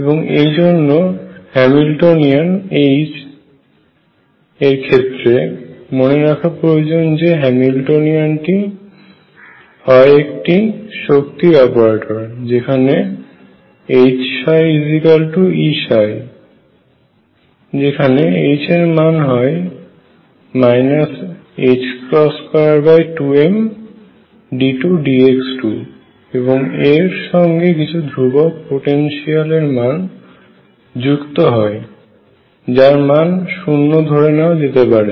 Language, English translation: Bengali, And therefore, the Hamiltonian H recall this Hamiltonian is an operator for energy where H psi equals E psi and H is going to be minus h cross square over 2 m d 2 over d x square plus, some constant potential which have taken to be 0